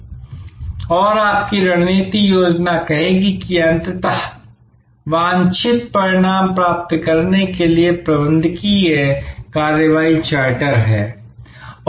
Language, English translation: Hindi, And your strategic plan will say, that ultimately this is the managerial action charter to achieve desired outcome